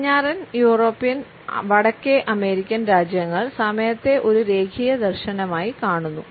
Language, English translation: Malayalam, The western European and North American countries few time as a linear vision